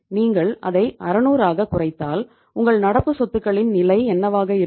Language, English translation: Tamil, If you bring it down by 600 so what will be the level of your current assets here